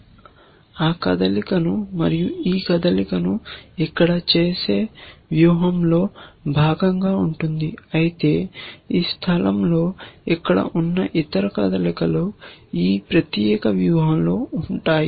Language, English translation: Telugu, Alternatively, this leaf will also be part of a strategy where max makes that move, this move here, but the other move at this place here, that also will contain this particular strategy